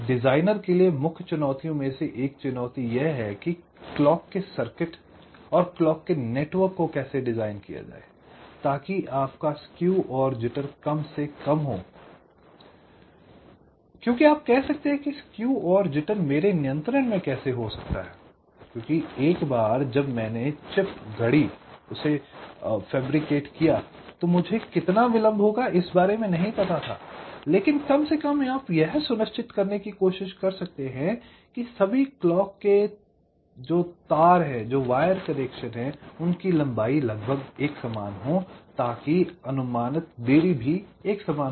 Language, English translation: Hindi, so one of the main challenge for the designer is is how to design the clock circuit, how to design the clock network such that your skew and jitter are minimised, because you can say that well, skew and jitter, how this can be under my control, because once i fabricated a chip, i do not know how much delay it will be taking, but at least you can try